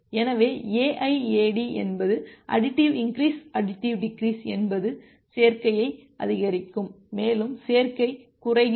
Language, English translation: Tamil, So, AIAD is the additive increase additive decrease you increase additively as well as decrease additively